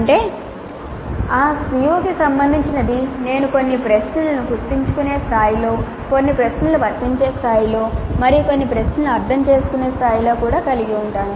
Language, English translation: Telugu, That means related to that COO I can have some questions at remember level, some questions at apply level and some questions at the understand level also